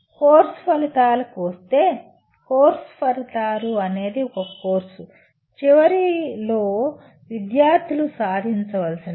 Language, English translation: Telugu, Coming to Course Outcomes, Course Outcomes are what students are required to attain at the end of a course